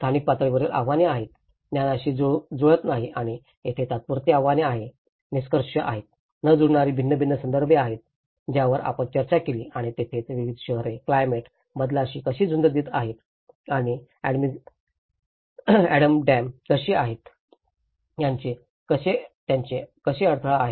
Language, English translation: Marathi, There are spatial scale challenges, there are knowledge mismatches and there also the temporary challenges and mismatches between norms so like that there are various contexts which we discussed and that is where how different cities are coping up with the climate change and how Amsterdam, how their barrier